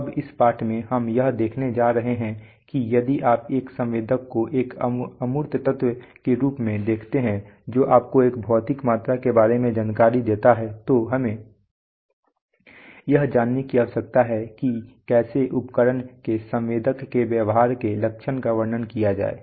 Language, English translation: Hindi, Now, so in this lesson we are going to see that if you look at a sensor as an abstract element which gives you, which gives you a value, which gives you the information, about a physical quantity then we need to know how to characterize the behavior of this device called the sensor of the instrument